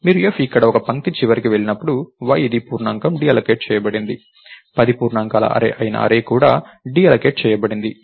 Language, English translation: Telugu, So, when you go to the end of this line f here, y which is an integer is deallocated, array which is an array of 10 integers is also deallocated